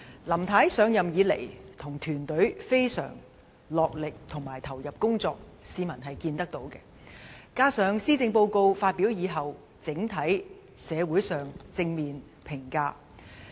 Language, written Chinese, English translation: Cantonese, 林太自上任以來，與其團隊非常落力及投入工作，市民是看得到的；而施政報告發表之後，整體上亦得到社會正面的評價。, Since assuming office Mrs LAM and her team have been working very hard with full devotion to their work . This is well evident to members of the public . The Policy Address has since its delivery received positive comments from the community